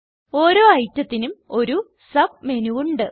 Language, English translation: Malayalam, Each item has a Submenu